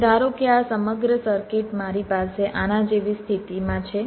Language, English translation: Gujarati, now, suppose this entire circuit i have in a scenario like this